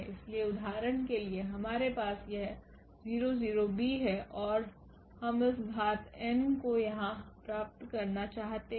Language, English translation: Hindi, So, for instance we have this a 0 0 b and we want to get this power n there